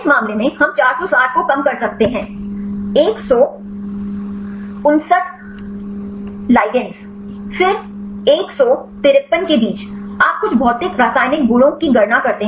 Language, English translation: Hindi, In this case we can reduce is 460 into 159 ligands; then among the 153, you calculate some of the physical chemical properties